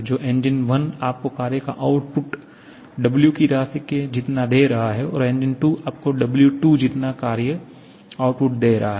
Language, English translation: Hindi, So, engine 1 is giving you W amount of work output, engine 2 is giving W2 amount of work output